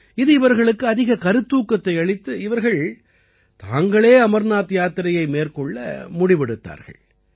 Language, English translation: Tamil, They got so inspired that they themselves came for the Amarnath Yatra